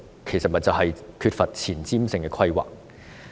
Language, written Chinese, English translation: Cantonese, 就是因為當局缺乏前瞻性的規劃。, It is because the authorities are in lack of forward looking planning